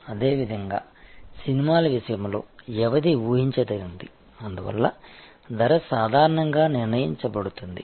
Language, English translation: Telugu, Similarly, in case of movies the duration is predictable and therefore, the price is usually fixed